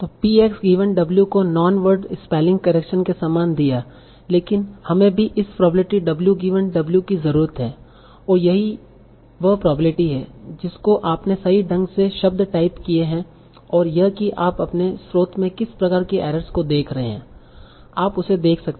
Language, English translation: Hindi, So px given w is same as non word spelling correction but we also need this probability W given W and that is the probability that you have correctly typed a word and that you can find by the kind of the amount of errors that you are seeing in your source